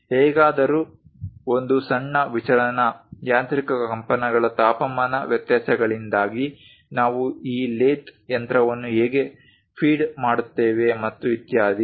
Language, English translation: Kannada, But a small deviation, because of mechanical vibrations temperature variations are the way how we feed this lathe machine and so on